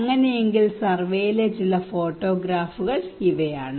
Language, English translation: Malayalam, So this is some of the photographs during the survey